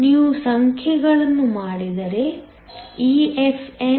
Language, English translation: Kannada, If you do the numbers, EFn EFikT ln